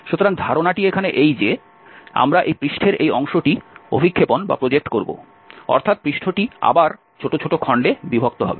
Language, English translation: Bengali, So, the idea here that we will project this portion of this surface, so, the surface will be divided again into small pieces